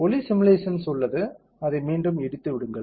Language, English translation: Tamil, There is acoustic simulation let me collapse it back